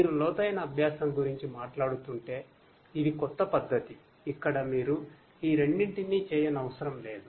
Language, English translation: Telugu, But you know if you are talking about deep learning, this is a newer technique where you do not have to do these two